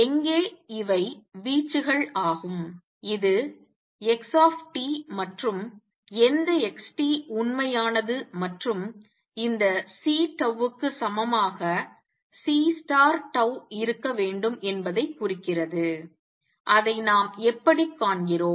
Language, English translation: Tamil, Where these are the amplitudes this is xt and which xt is real and this implies that C tau should be equal to C minus tau star how do we see that